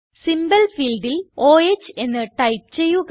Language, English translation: Malayalam, In the Symbol field type O H